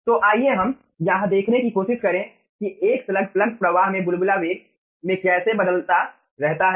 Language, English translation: Hindi, so lets us try to see that how in a slug plug flow ah bubble velocity varies